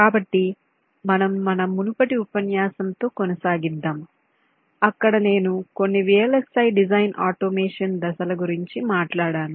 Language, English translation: Telugu, so we continue with our this previous lecture where i talked about some of the vlsi design automation steps